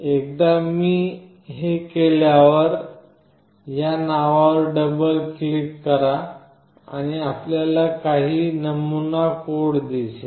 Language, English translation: Marathi, Once I do this you double click on this name, and you see some sample code